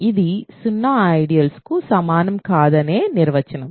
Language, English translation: Telugu, This is the definition of not being equal to the zero ideal